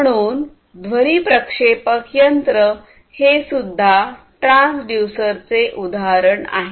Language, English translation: Marathi, So, a speaker is also another example of the transducer